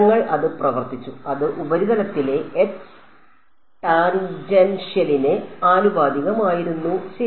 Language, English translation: Malayalam, We had worked it out; it was proportional to the H tangential on the surface ok